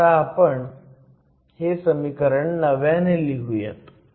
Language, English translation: Marathi, So, let me rewrite this expression again